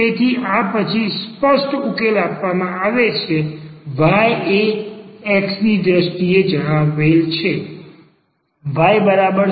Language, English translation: Gujarati, So, this is then an explicit solution is given y is a stated in terms of the x